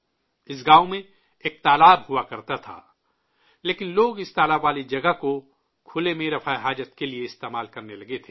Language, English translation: Urdu, There used to be a pond in this village, but people had started using this pond area for defecating in the open